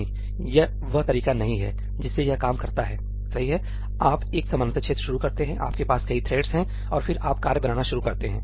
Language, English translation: Hindi, No that is not the way it works ; you start a parallel region, you have multiple threads and then you start creating the tasks